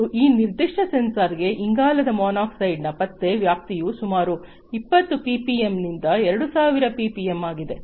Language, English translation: Kannada, And the detecting range for carbon monoxide for this particular sensor is about 20 ppm to 2,000 ppm